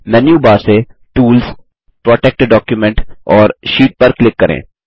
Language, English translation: Hindi, From the Menu bar, click on Tools, Protect Document and Sheet